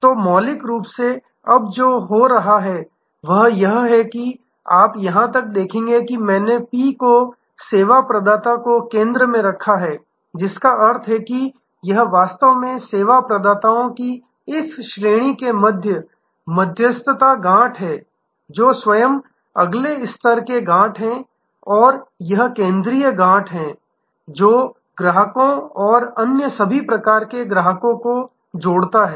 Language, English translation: Hindi, So, fundamentally what is now happening is that you will see even in this we have put P the service provider in the center, which means as if this is actually the mediating node between this range of service suppliers, who are themselves again nodes of next level service suppliers and as if this is the central node, which connects to customers and all the other types of customers